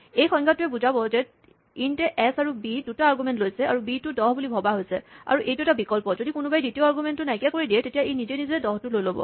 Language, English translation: Assamese, So, what this definition says is that, int takes 2 arguments s and b and b is assumed to be 10, and is hence, optional; if the person omits the second argument, then it will automatically take the value 10